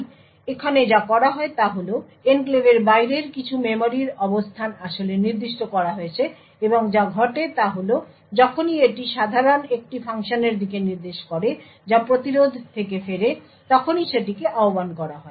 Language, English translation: Bengali, So, what is done here is that some memory location outside the enclave is actually specified and the fact is whenever so it would typically point to a function which gets invoked whenever there is a return from the interrupt